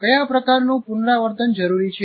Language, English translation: Gujarati, What kind of rehearsal is required